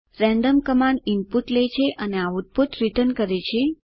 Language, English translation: Gujarati, random command takes input and returns output